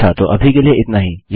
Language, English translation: Hindi, Okay so thats it for now